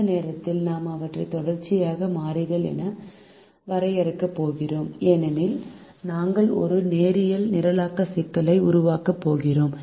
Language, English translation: Tamil, at the moment we are going to define them as continues variables because we are going to formulate a linear programming problem